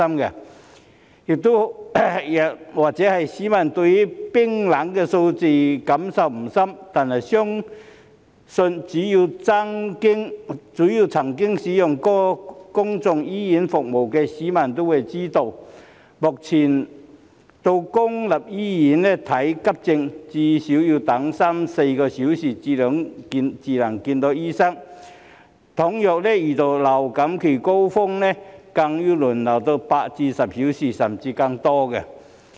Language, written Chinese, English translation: Cantonese, 也許市民對冰冷的數字感受不深，但相信只要曾經使用過公立醫院服務的市民也會知道，目前到公立醫院看急症，最少要等三四小時才能見醫生；倘若遇到流感高峰期，更要輪候8至10小時，甚至更久。, Perhaps the public do not have strong feelings about these cold figures but I believe that so long as people have used public hospital services they will know that they have to wait for at least three to four hours for public hospital emergency services before doctors can be consulted . They even have to wait for eight to 10 hours or even longer during the influenza season